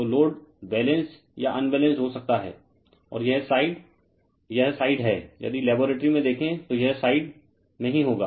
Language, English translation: Hindi, So, load may be Balanced or Unbalanced right and this side is your this side is your if, you see in your laboratory this sides when it will be in the (Refer time: 00:53) itself